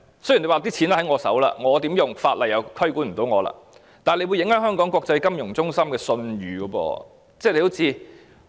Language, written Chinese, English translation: Cantonese, 雖然錢在政府手上，如何使用，法例無法規管，但這樣會影響香港國際金融中心的信譽。, Though the Government has the money and the laws also fail to control how it is used the reputation of Hong Kong as an international financial centre will be affected as a result